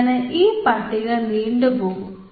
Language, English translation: Malayalam, so this list can go on and on